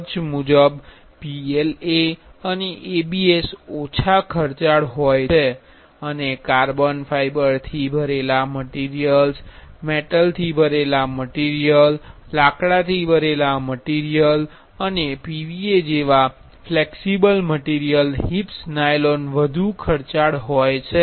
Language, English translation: Gujarati, In the cost vice PLA and ABS have the lower costs and the flexible material HIPS nylon as a carbon fiber filled material, metal filled material, wood filled material and PVA those are of high costs